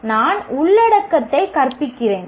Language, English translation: Tamil, So I keep teaching the content